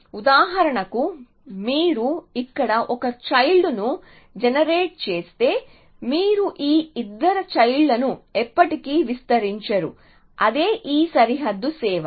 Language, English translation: Telugu, So, if you generate a child here for example, then you will never expand these two children essentially, so that is the purpose that this boundary is serving